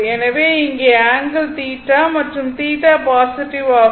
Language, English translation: Tamil, So, here an angle is theta, and theta is positive